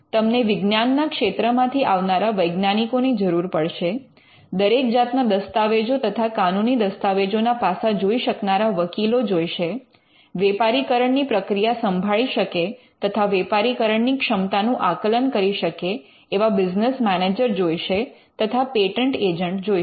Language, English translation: Gujarati, You need people with science background in science scientists, lawyers who can look at various aspects of documentation or legal documentation, you need business managers who can look at the commercialization perspective and potential and you need patent agents